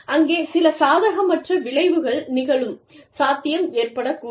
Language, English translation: Tamil, There is a possibility of, some unfavorable repercussion